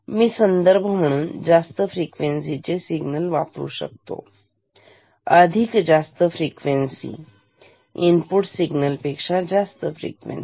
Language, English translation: Marathi, So, this is a low frequency input; then I can use a high frequency reference signal which is much higher of much higher frequency than this input signal ok